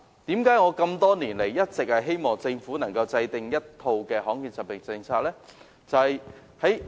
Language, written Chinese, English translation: Cantonese, 為何我多年來一直希望政府能夠制訂罕見疾病政策呢？, Why have I cherished the hope that the Government can formulate a rare disease policy over all these years?